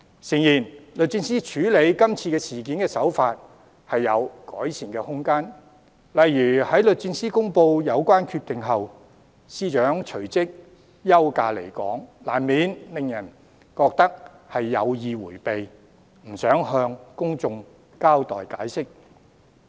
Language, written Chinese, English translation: Cantonese, 誠然，律政司處理今次事件的手法有改善的空間，例如在律政司公布有關決定後，司長隨即休假離港，難免令人覺得是有意迴避，不想向公眾交代解釋。, Indeed there is room for improvement in DoJs handling of the incident in question . For instance the Secretary for Justice left Hong Kong for a vacation right after DoJ announced the relevant decision . People will inevitably have the impression that it is the Secretary for Justices intention to avoid giving an account or an explanation to the public